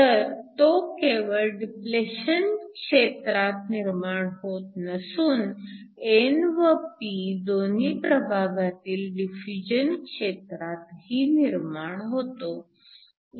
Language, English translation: Marathi, So, it not only comes from the depletion region, but also from the diffusion regions in both the n and the p side